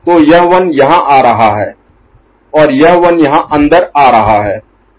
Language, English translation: Hindi, So, this 1 is coming here and this 1 is getting in